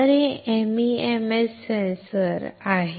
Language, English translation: Marathi, So,these are the MEMS sensors